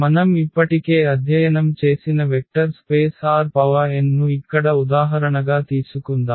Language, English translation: Telugu, So, let us take the example here the vector space R n which we have already studied